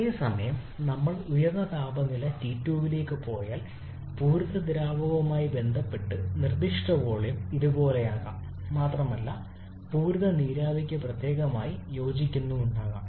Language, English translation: Malayalam, Whereas if we go to higher temperature T2, then the specific volume corresponding to saturated liquid may be something like this